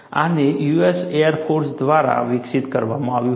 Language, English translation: Gujarati, And this is developed by Air force personnel